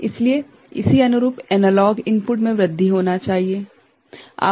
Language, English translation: Hindi, So, the corresponding analog input should increase in this manner ok